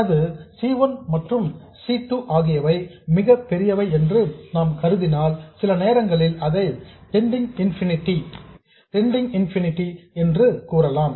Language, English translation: Tamil, So, if we assume that C1 and C2 are very large and sometimes I will say tending to infinity